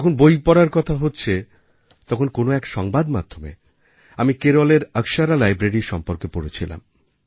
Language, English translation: Bengali, Now that we are conversing about reading, then in some extension of media, I had read about the Akshara Library in Kerala